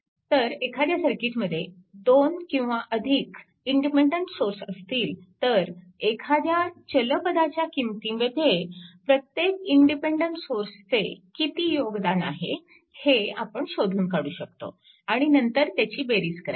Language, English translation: Marathi, So, if a circuit has 2 or more independent sources one can determine the contribution of each independent source to the variable and then add them up